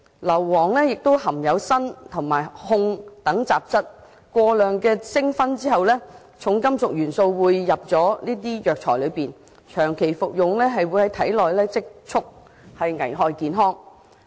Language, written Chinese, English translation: Cantonese, 硫磺亦含有砷及汞等雜質，過量蒸燻後，這些重金屬元素會滲進藥材，若長期服用，便會在體內積存，危害健康。, Sulphur also contains impurities like arsenic and mercury . After excessive fumigation these heavy metal elements will infiltrate into the herbal medicines . If someone keeps consuming them over a long period they will accumulate in his body and endanger his health